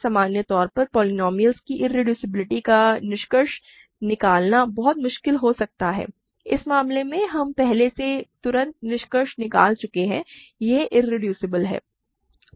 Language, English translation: Hindi, It may be very difficult in general to conclude irreducibility of polynomials, in this case we have already just immediately concluded that it is irreducible